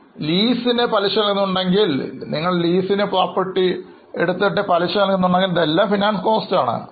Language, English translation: Malayalam, If you pay interest on your debentures, interest on lease, all these will be considered and included in finance costs